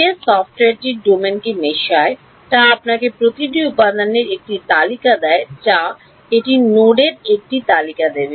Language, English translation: Bengali, The software which meshes the domain will give you a list of for each element it will give a list of nodes